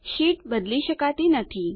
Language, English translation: Gujarati, The sheet cannot be modified